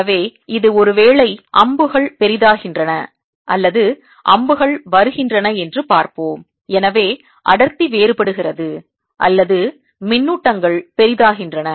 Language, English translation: Tamil, so let's see that d is maybe arrows are getting bigger, or arrows, so density varies, or the charges are becoming bigger